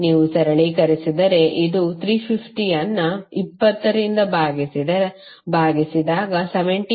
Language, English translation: Kannada, If you simplify, this will become 350 divided by 20 is nothing but 17